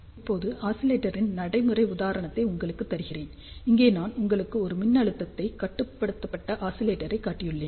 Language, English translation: Tamil, Now, let me give you a practical example of oscillator, here I have shown you a voltage controlled oscillator